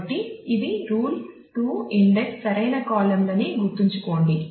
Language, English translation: Telugu, So, this remember the rule 2 index the correct columns